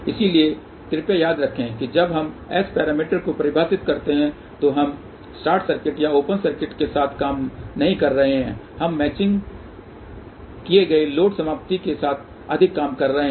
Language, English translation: Hindi, So, please remember when we define S parameter we are not dealing with short circuit or open circuit we are more dealing with the match load termination